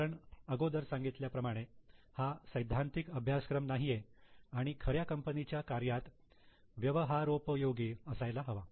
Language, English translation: Marathi, Because as I have said this is not a theoretical course, it should have an application for the actual companies